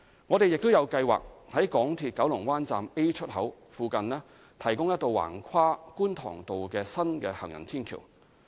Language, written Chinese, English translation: Cantonese, 我們亦有計劃在港鐵九龍灣站 A 出口附近提供一道橫跨觀塘道的新行人天橋。, We have also planned to provide an additional footbridge across Kwun Tong Road near MTR Kowloon Bay Station Exit A